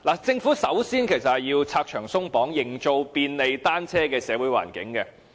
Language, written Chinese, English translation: Cantonese, 政府首先要拆牆鬆綁，營造便利單車的社會環境。, The Government first needs to remove regulations and restrictions to create a social environment conducive to cycling